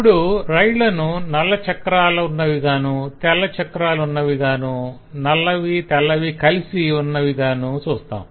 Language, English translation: Telugu, so we will have the trains which have black wheels, white wheels and which have black and white wheels both